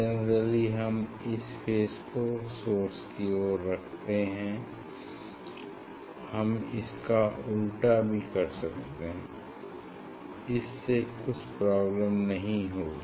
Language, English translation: Hindi, generally we put this plane surface towards the source, but it can be in opposite way also there should not be any problem